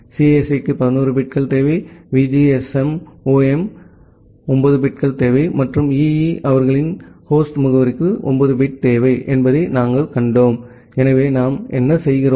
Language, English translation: Tamil, And what we have seen that CSE requires 11 bits, VGSOM requires 9 bits, and EE requires 9 bit for their host address